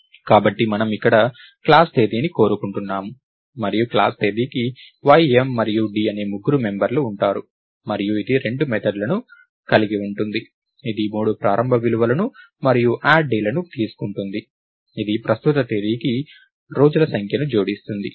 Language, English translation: Telugu, So, we would want class Date here, and class Date will have three members y, m and d and it will have two methods Date which will take the three initial values and add days which will ah